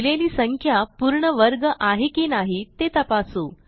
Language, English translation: Marathi, Given a number, we shall find out if it is a perfect square or not